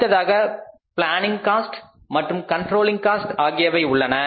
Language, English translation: Tamil, We have the planning cost and the controlling cost